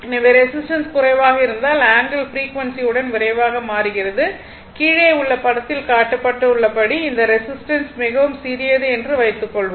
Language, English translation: Tamil, So, if the resistance is low suppose if the resistance is low the angle changes more rapidly with the frequency as shown in figure below suppose this resistance is very small